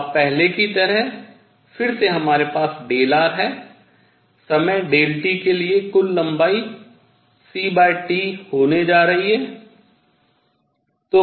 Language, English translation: Hindi, Now, again as previously we have delta r; total length for time delta T is going to be c delta t